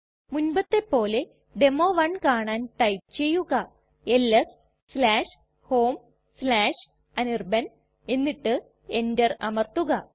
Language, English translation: Malayalam, As before to see the demo1 type ls/home/anirban and press enter